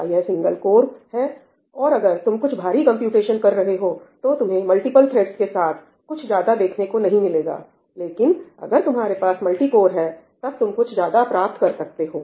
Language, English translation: Hindi, Is it a single core, and if you are doing something computation heavy, you are not going to see much gains with multiple threads, but if you have multi core, you will start seeing the gains